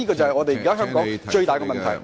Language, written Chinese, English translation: Cantonese, 這是香港現時最大的問題。, and that is the biggest problem with Hong Kong now